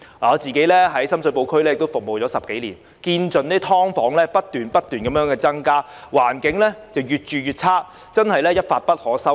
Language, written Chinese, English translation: Cantonese, 我在深水埗區服務了10多年，眼見"劏房"不斷增加，環境越來越差，真是一發不可收拾。, I have been serving the Sham Shui Po district for more than 10 years . I have noticed an increasing number of SDUs and deteriorating conditions therein and the problem has really become out of control